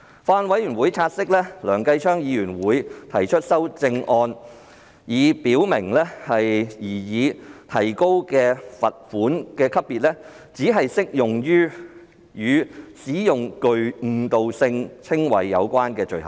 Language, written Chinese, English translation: Cantonese, 法案委員會察悉，梁繼昌議員會提出修正案，以表明擬提高的罰款級別只適用於與使用具誤導性稱謂有關的罪行。, The Bills Committee noted that Mr Kenneth LEUNG will propose amendments to the effect that the proposed increase in the level of fine will be restricted to those offences which are related to the use of misleading descriptions